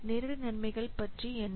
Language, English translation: Tamil, Now what is about indirect benefits